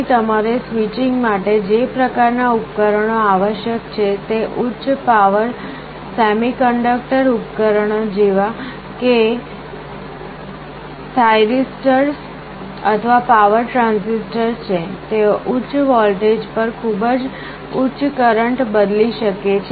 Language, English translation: Gujarati, Here the kind of devices you require for the switching are high power semiconductor devices like thyristors or power transistors, they can switch very high currents at high voltages